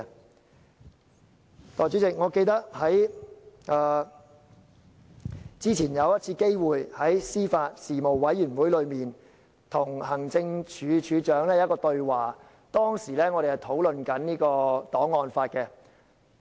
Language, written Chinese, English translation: Cantonese, 代理主席，我記得之前曾在司法及法律事務委員會，與行政署署長對話，當時我們在討論檔案法。, Deputy President I remember I had an opportunity to speak with the Director of Administration at the meeting of the Panel on Administration of Justice and Legal Services . We were discussing archives law at that time